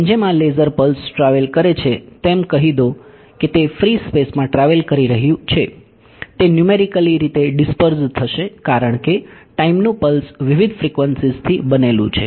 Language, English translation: Gujarati, As this laser pulse travels let say it is travelling in free space right it is going to numerically disperse because, of pulse in time is made up of several different frequencies